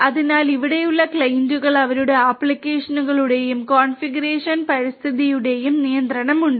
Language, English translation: Malayalam, So, the clients over here have control over the applications and the configuration environment that they have